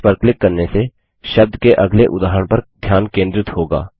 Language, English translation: Hindi, Clicking on Next will move the focus to the next instance of the word